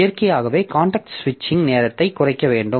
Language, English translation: Tamil, So, naturally we have to minimize the context switching time